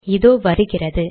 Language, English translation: Tamil, So there it is